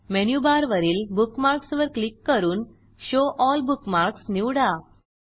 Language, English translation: Marathi, From Menu bar, click on Bookmarks and select Show All Bookmarks